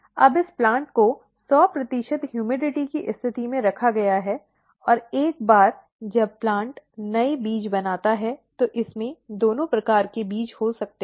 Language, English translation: Hindi, Now, this plant is placed under 100 percent humidity condition and once the plant forms the new seeds, it can have both the kinds of seed